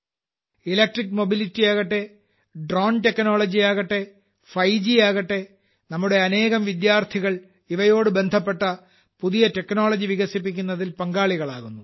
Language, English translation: Malayalam, Be it electric mobility, drone technology, 5G, many of our students are engaged in developing new technology related to them